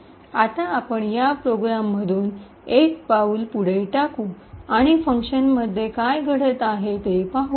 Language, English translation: Marathi, Now let us single step through this program and see what is actually happening in function